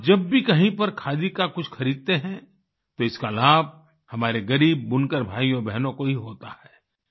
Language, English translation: Hindi, Whenever, wherever you purchase a Khadi product, it does benefit our poor weaver brothers and sisters